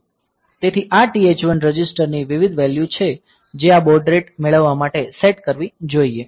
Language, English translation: Gujarati, So, these are the various values of TH1 register that should be set for this for getting this baud rate